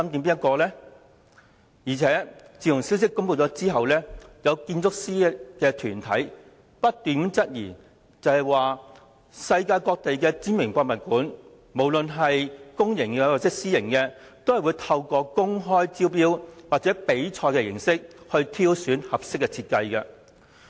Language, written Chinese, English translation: Cantonese, 此外，自消息公布後，有建築師團體提出質疑，指世界各地的知名博物館，不論公營或私營，也會透過公開招標或比賽方式挑選合適設計。, Furthermore after release of the news some architectural bodies have raised doubts stating that it is a common practice for renowned museums in the world whether publicly or privately funded to select a suitable design through open tender or competition